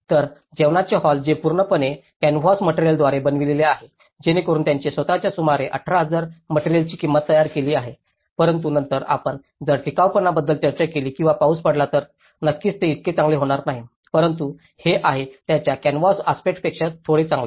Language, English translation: Marathi, whereas, the dining hall which is completely built with the canvas material, so that itself has costed about 18,000 material but then if you talk about the durability or if there is any kind of rain occurs then obviously this may not so better and but this is little better than the canvas aspect of it